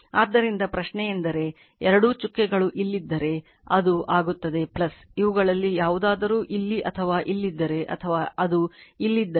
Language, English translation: Kannada, So, question is that if both dots are here, it will be plus if either of this either it is here or here or it is here